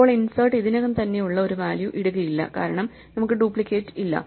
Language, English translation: Malayalam, Now, insert will not put in a value that is already there because we have no duplicates